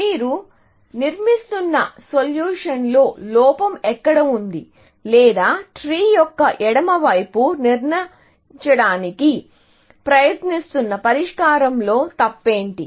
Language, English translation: Telugu, the fault in the solution that you constructing, or what is wrong with the solution that the left side of the tree is trying to construct